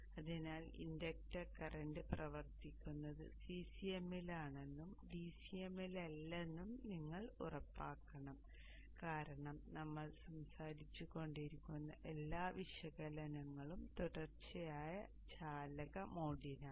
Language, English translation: Malayalam, So you should ensure that the inductor current is operating in CCM and not in DCM because all the analysis that we have been talking about is for a continuous conduction mode